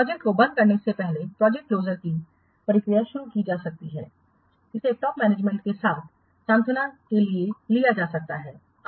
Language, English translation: Hindi, Before the project closure process can be initiated, the decision regarding closing the project it needs to have been taken in consolation with the top management